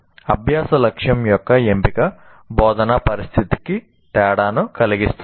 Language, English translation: Telugu, So the choice of learning goal will make a difference to the instructional situation